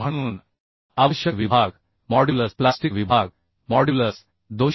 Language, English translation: Marathi, 1 therefore the section modulus plastic section modulus required is 247